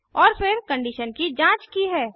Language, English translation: Hindi, And then, the condition is checked